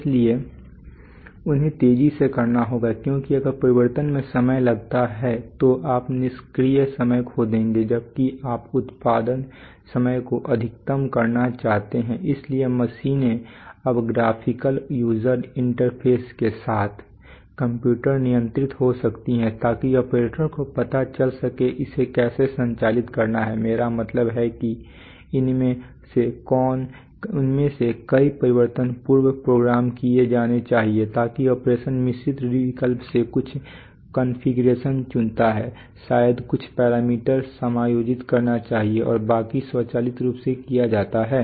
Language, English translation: Hindi, So they have to made fast because if the change takes time then you are going to lose out on idle time you have to, you want to maximize production time, so machines are now computer controlled maybe with graphical user interfaces so that the operators know how to how to operate it and can give very you know, I mean many of these changes should be pre programmed so that the operation just, so the operator typically you know chooses certain configurations from a mixed choice probably adjust some parameters and the rest is done automatically similarly material handling